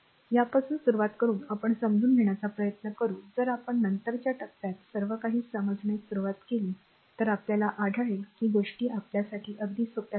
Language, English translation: Marathi, Starting from this let us will try to understand the if we start to understand everything the later stage we will find things say are things are become very simple to us